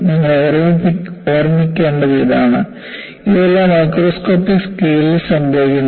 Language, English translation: Malayalam, So, what you will have to look at is, all of these happen at a microscopic level